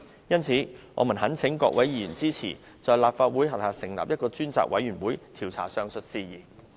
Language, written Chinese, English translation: Cantonese, 因此我們懇請各位議員支持，在立法會轄下成立一個專責委員會，調查上述事宜。, For these reasons we implore Members to support the establishment of a select committee under the Legislative Council to investigate the aforementioned matter